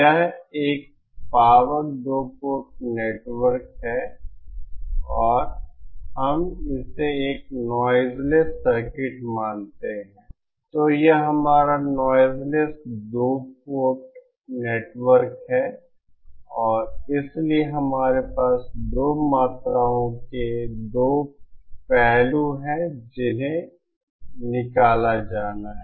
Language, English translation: Hindi, This is power two port network and if we consider it to be a noise less circuit, so this is our noise less two port network and so what we have is two aspects of two quantities which have to be extracted